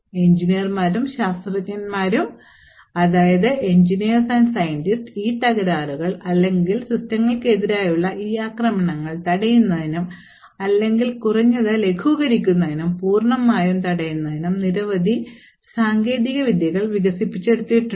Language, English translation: Malayalam, So there are many ways by which engineers and scientists have developed techniques by which these flaws or these attacks on systems can be actually prevented or if not completely prevented at least mitigated